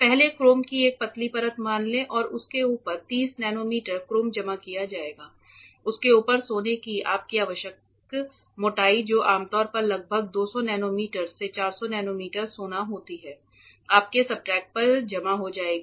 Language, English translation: Hindi, First a thin layer of chrome let us say 30 nanometer of chrome will be deposited on top of that the your required thickness of gold which is usually around 200 nanometer to 400 nanometer gold will be deposited onto your substrate